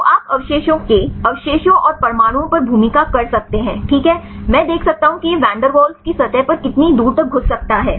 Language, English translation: Hindi, So, you can role over the residue residues and the atoms right I can see how far this can penetrate in the Van der waals surface right